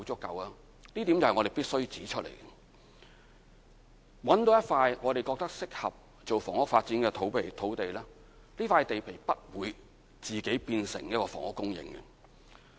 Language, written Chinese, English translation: Cantonese, 有一點是我們必須指出：找到一塊我們覺得適合用作房屋發展的土地後，這塊地皮不會自己變成房屋用地。, A point we must make is that after a site is identified as suitable for property development it will not turn automatically into a site for housing use